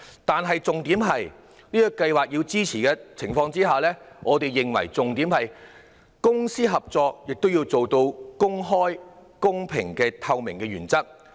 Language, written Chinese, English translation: Cantonese, 但重要的是，在支持這做法的同時，我們認為公私營合作亦要達致公開、公平及透明的原則。, The prime concern of members of the public at present can thus be addressed . But more importantly while supporting this approach we consider that public - private partnership should also uphold the principle of openness fairness and transparency